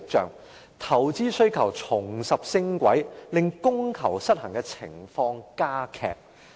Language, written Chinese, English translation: Cantonese, 此外，投資需求重拾升軌，令供求失衡的情況加劇。, Besides the investment demand showed signs of increase intensifying the imbalance in supply and demand